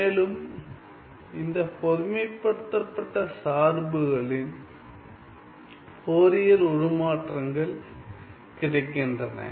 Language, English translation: Tamil, And the Fourier transforms of these generalized functions are available right